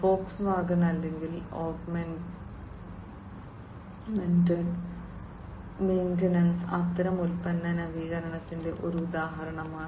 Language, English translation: Malayalam, And Volkswagen or augmented maintenance is an example of such kind of product innovation